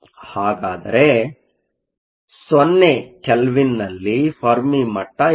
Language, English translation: Kannada, So, Where is the fermi level located at 0 Kelvin